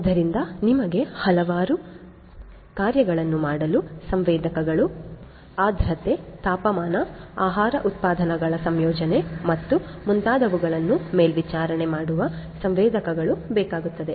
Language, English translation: Kannada, So, you need sensors for doing number of things, sensors for monitoring humidity, temperature, composition of food products and so on